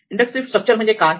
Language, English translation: Marathi, So, what is the inductive structure